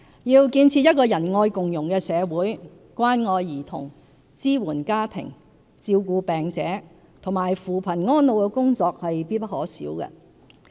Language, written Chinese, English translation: Cantonese, 要建設仁愛共融的社會，關愛兒童、支援家庭、照顧病者和扶貧安老的工作必不可少。, Care for children family support patient care poverty alleviation and elderly care are essential for building a compassionate and inclusive society